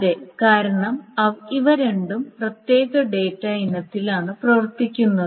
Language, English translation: Malayalam, Yes, because they do not operate on the same data item